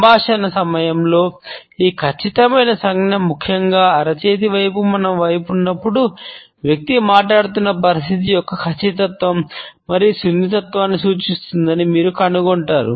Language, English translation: Telugu, During the dialogues, you would find that this precision gesture particularly, when the palm is facing towards ourselves suggests accuracy, precision as well as delicacy of the situation about which the person is talking